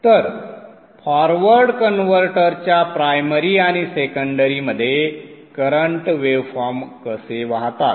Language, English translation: Marathi, So this is how the current waveforms flow in the primary and the secondary of the forward converter